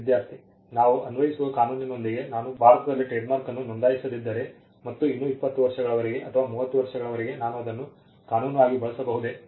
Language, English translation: Kannada, Student: With the law of we applicable, if I do not register a trademark in India and still for if a long time for 20 years, or 30 years can I use it law of